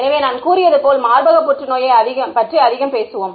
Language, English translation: Tamil, So, as I have said we will talk more about breast cancer right